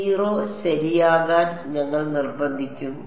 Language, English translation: Malayalam, We will force to be 0 right